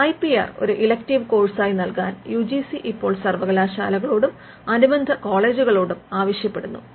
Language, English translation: Malayalam, UGC now requests universities and affiliated colleges to provide IPR as elective course